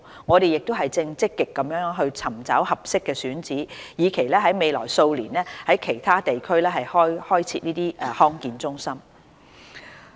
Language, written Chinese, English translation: Cantonese, 我們正積極尋找合適的選址，以期在未來數年在其他地區開設這類康健中心。, We are actively looking for suitable sites to set up such DHCs in other districts in the coming few years